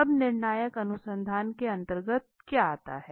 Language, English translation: Hindi, Now what is comes under the conclusive research